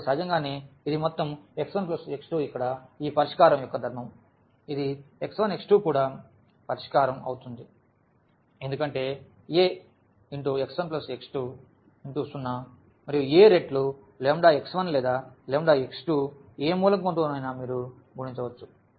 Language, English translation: Telugu, So, naturally this the sum x 1 plus x 2 that is the property of this solution here that this a this x 1, x 2 will be also the solution because A times x 1 plus x 2 will be 0 and also A times the lambda x 1 or lambda x 2 with any element you can multiply by lambda that will be also 0